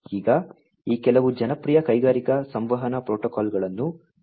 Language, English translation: Kannada, Now, these are some of these popular industrial communication protocols that are used